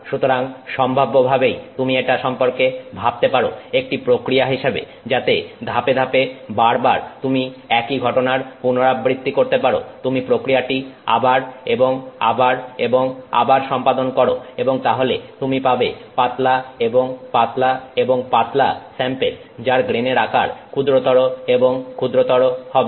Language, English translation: Bengali, So, potentially you can think of this as a process which you can do in stages, repeated, repeat this process again and again and again and again and you will keep getting thinner and thinner and thinner samples which will have smaller and smaller grain size